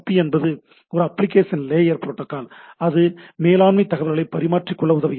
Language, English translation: Tamil, So, SNMP is a application layer protocol, and it facilitates that exchange of management information, right